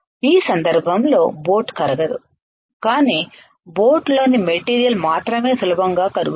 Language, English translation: Telugu, In this case my boat will not melt and only the material within the boat will melt easy